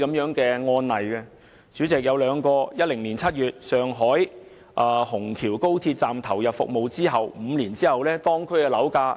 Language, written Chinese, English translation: Cantonese, 上海虹橋高鐵站於2010年7月投入服務，當地樓價在5年後已上升1倍。, After the commissioning of the Shanghai Hongqiao Railway Station in July 2010 local property prices had doubled five years later